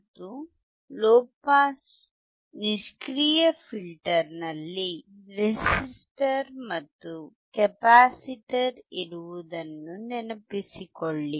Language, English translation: Kannada, And if you remember the low pass passive filter had a resistor, and a capacitor